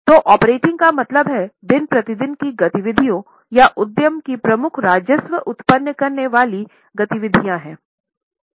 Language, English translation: Hindi, So, operating as the name suggests means day to day activities or principal revenue generating activities of the enterprise